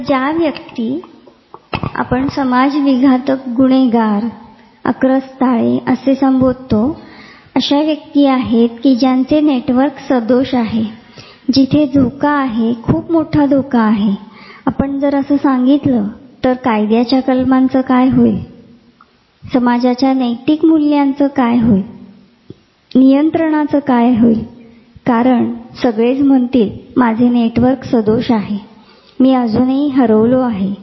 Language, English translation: Marathi, So, the people whom we call socio path, or criminals, or impulsive are they people whose network is faulty there is a risk, there is a huge risk, if we tell all this because then what will happen to the codes of justice, what will happen to the moral values of the society, what will happen to the control, because everybody will say oh my network is faulty I am not yet lost